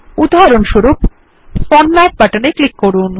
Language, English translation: Bengali, Click the Format example button